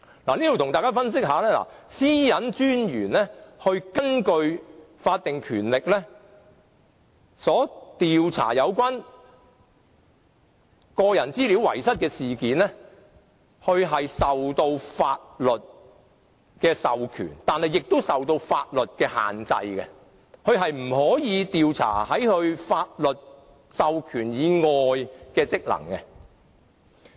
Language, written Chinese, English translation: Cantonese, 個人資料私隱專員是根據法定權力調查有關個人資料遺失的事件，它既受到法律的授權，但也受到法律的限制，所以不能調查法律授權以外的範圍。, The Privacy Commissioner for Personal Data carries out an investigation into the data loss incident in accordance with its statutory power . While being entrusted with the power under the law PCPD is also subject to the limits imposed by the law and is unable to investigate any areas outside the scope authorized by the law